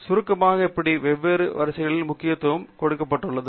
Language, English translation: Tamil, So, just briefly, to summarize how these different sortings are important is given here